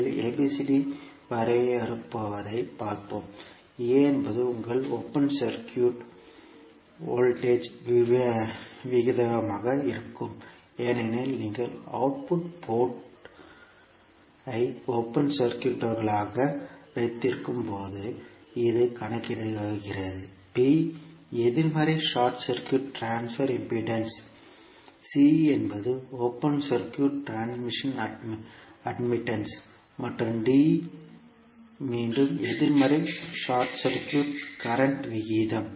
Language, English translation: Tamil, First let us see what ABCD defines; A will be your open circuit voltage ratio because this you calculate when you keep output port as open circuit, B is negative short circuit transfer impedance, C is open circuit transfer admittance and D is again negative short circuit current ratio